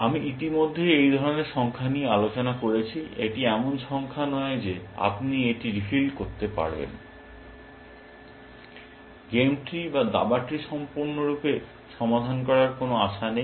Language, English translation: Bengali, We have already discussed this kind of numbers before, that this is not the number, you can refill with, there is no hope ever of solving the game tree completely, chess tree completely